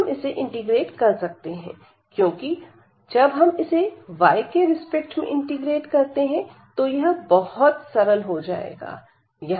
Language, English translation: Hindi, And now we can integrate this because with respect to y when we integrate, this is going to be easier we have this is x is constant